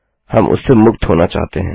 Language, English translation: Hindi, We want to get rid of that